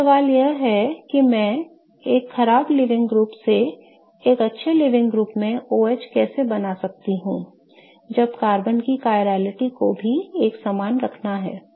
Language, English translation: Hindi, Now, the question is how do I make that OH from a bad leaving group to a good living group but still keep the chirality of the carbon the same okay